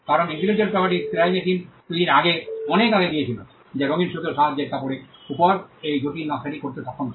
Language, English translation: Bengali, Because the intellectual property went in much before in the creation of the sewing machines, which was capable of doing this intricate design on cloth using colorful thread